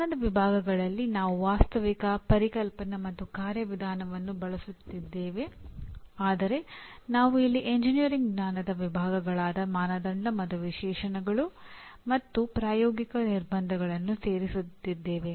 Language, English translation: Kannada, And knowledge categories here we are using Factual, Conceptual, Conceptual and here Procedural but we are also adding the engineering knowledge categories like Criteria and Specifications and Practical Constraints and these are the classroom sessions and these are the laboratory sessions